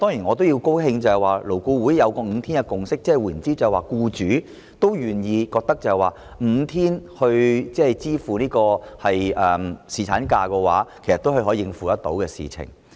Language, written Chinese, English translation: Cantonese, 我也高興得悉勞顧會得出5天侍產假的共識，即是僱主願意，並且認為5天侍產假的薪酬是可以應付的事情。, I am also pleased to learn that LAB has come to the consensus of a five - day paternity leave which means that employers are willing to and consider themselves able to pay for five - day paternity leave